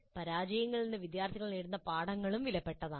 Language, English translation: Malayalam, The lessons that the students draw from the failures are also valuable